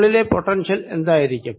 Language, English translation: Malayalam, what will be the potential